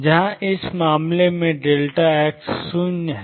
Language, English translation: Hindi, Where as delta x in this case is 0